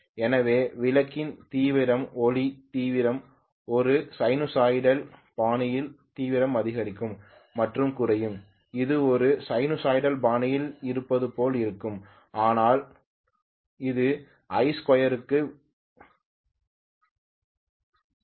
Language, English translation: Tamil, So the bulb intensity, the light intensity will increase and decrease in a sinusoidal fashion it will look as though it is in a sinusoidal fashion but it is proportional to I square